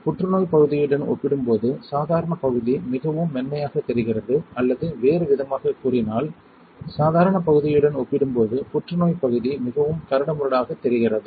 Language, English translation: Tamil, Then the normal region looks much more smooth compared to the cancer region or in other words cancer region looks much more coarser compared to the normal region alright